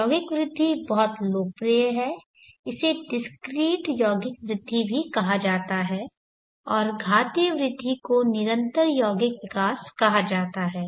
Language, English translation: Hindi, The compound growth very popular it is also called the discrete compound growth and the exponential growth is called the continuous compound growth